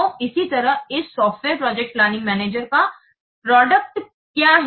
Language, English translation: Hindi, So similarly, what is the output of this software project management